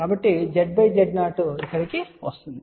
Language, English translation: Telugu, So, Z by Z 0 will come here